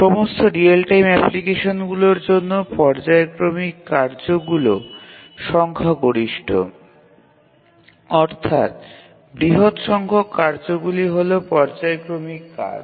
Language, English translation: Bengali, In any real time application, there are many tasks and a large majority of them are periodic tasks